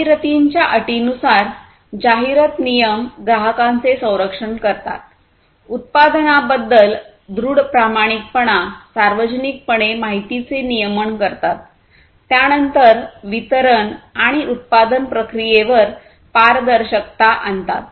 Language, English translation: Marathi, In terms of advertisement – advertisement regulations protect customers, firm honesty about a product, information regulation publicly, then transparency on distribution and manufacturing process